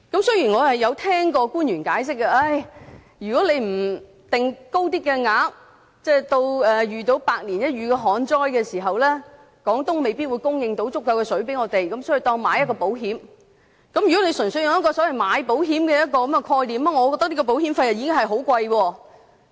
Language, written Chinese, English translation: Cantonese, 雖然我曾聽過官員解釋，如果不設定較高的供水量，至遇到百年一遇的旱災時，廣東未必能供應足夠的水給香港，所以，當作是購買保險。, Although I have heard explanations by some officials who say that if a higher water supply threshold is not set at times of once - in - a - century drought Guangdong may not be able to supply sufficient water to Hong Kong . Therefore the package can be seen as an insurance coverage